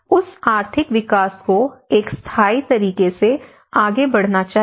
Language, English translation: Hindi, That economic development should proceed in a sustainable manner